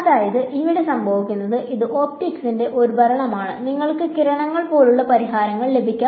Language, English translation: Malayalam, So, what happens over here is you get this is a regime of optics; and you get ray like solutions right ok